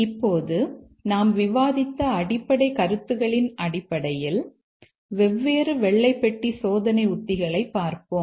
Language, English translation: Tamil, Now, based on the basic concepts that we discussed, now let's look at the different white box testing strategies